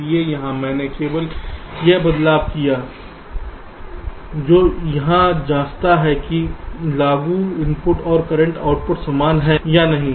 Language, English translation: Hindi, so here i have made just that change which checks whether the applied input and the current output are same or not